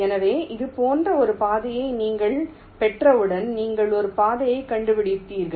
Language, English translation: Tamil, so once you get a path like this, your found out a path